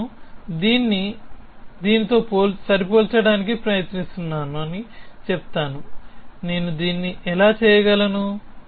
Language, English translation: Telugu, I would say I am trying to match this with this, how can I do this